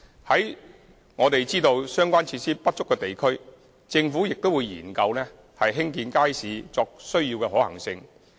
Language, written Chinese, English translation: Cantonese, 在我們知道相關施設不足的地區，政府會研究興建街市的可行性。, In areas known to be short on such facilities the Government will study the feasibility of building new markets